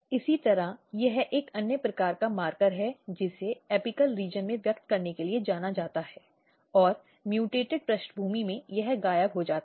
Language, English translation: Hindi, Similarly, this is a kind of another marker which is known to express in the apical region and in mutant background this is disappear